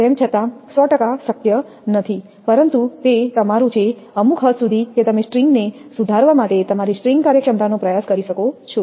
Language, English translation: Gujarati, Although a 100 percent is not possible, but it is your; to some extent that you can in try to improve the string your string efficiency